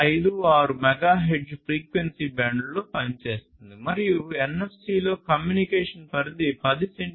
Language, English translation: Telugu, 56 megahertz frequency band, and the range of communication in NFC is less than 10 centimeters